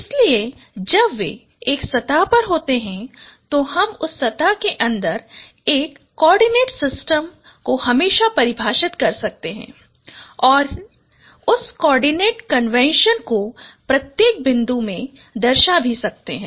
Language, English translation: Hindi, So when they lie on a plane, we can always define a coordinate system within that plane and use that coordinate convention to represent every point